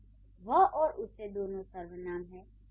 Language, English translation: Hindi, So this he and him, these would be pronouns